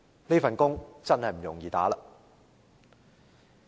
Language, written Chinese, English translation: Cantonese, 這份工作真的不容易做。, This is really not an easy job for him